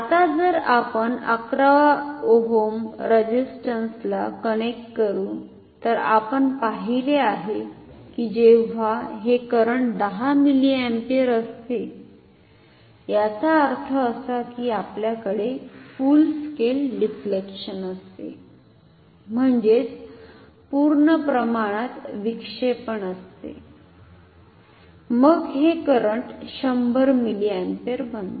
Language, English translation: Marathi, Now if we connect say 11 ohm resistance ok, then as we have seen when this current is 10 milliampere; that means, we have full scale deflection then this current becomes 100 milliampere